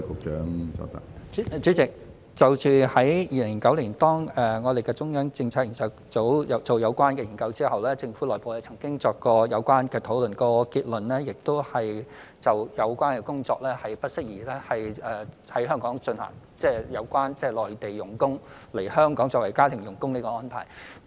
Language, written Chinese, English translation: Cantonese, 主席，中央政策組在2009年進行有關研究之後，政府內部曾經進行有關討論，結論是不適宜在香港進行有關工作，即有關內地傭工來香港作為家庭傭工的安排。, President the Government did hold internal discussion on this subject after the Central Policy Unit had conducted their study in 2009 and the conclusion was that Hong Kong was not suitable for the measure ie . the arrangement on Mainland workers coming to Hong Kong to work as domestic helpers